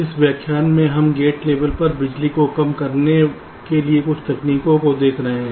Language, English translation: Hindi, so in this lecture we shall be looking at some of the techniques to reduce power at the level of gates, at the gate level